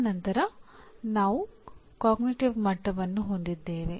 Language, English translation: Kannada, And then we have cognitive levels